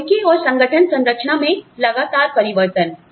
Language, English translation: Hindi, Frequent changes in technology and organization structure